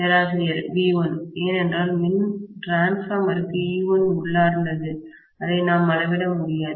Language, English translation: Tamil, V1, because E1 is internal to the transformer, which we cannot measure